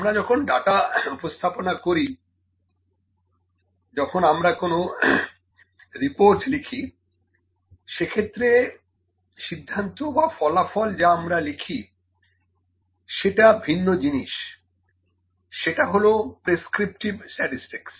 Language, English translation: Bengali, When we present the data, when we write the report, the conclusions or the results that we write is a different thing that is prescriptive statistics